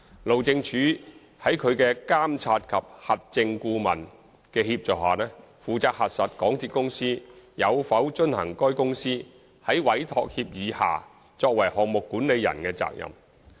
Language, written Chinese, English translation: Cantonese, 路政署在其監察及核證顧問的協助下，負責核實港鐵公司有否遵行該公司在委託協議下作為項目管理人的責任。, HyD with the assistance of its Monitoring and Verification MV consultant is responsible for verifying whether MTRCL has complied with its responsibility as the project manager under the Entrustment Agreement